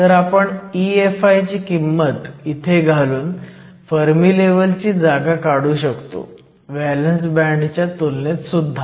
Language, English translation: Marathi, So, we can substitute for the value of E Fi here and get the position of the fermi level with respect to the valence band as well